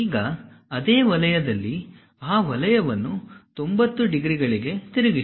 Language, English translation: Kannada, Now, flip that circle into 90 degrees on the same section show it